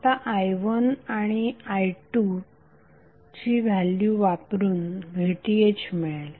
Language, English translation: Marathi, Simply put the value of i1 and i2 you will get VTh as 30 Volt